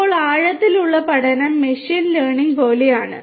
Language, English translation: Malayalam, Now, deep learning is like machine learning